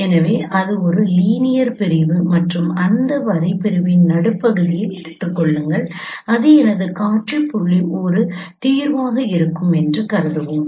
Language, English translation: Tamil, So that's a linear segment and take the middle of that line segment and we will consider that is my same point